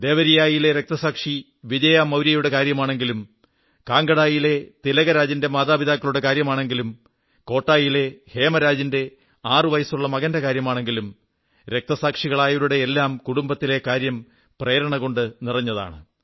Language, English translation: Malayalam, Whether it be the family of Martyr Vijay Maurya of Devariya, the parents of Martyr Tilakraj of Kangra or the six year old son of Martyr Hemraj of Kota the story of every family of martyrs is full of inspiration